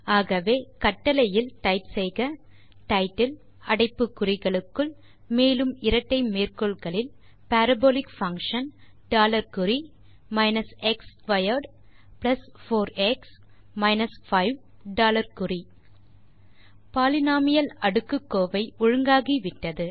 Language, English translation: Tamil, So in the command you can type title within brackets Parabolic function dollar sign minus x squared plus 4x minus 5 dollar sign As we can see, the polynomial is now formatted